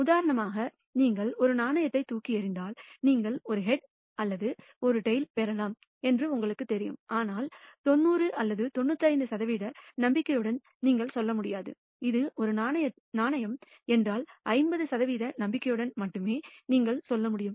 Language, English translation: Tamil, For example, if you toss a coin you know that you might get a head or a tail but you cannot say with 90 or 95 percent confidence, it will be a head or a tail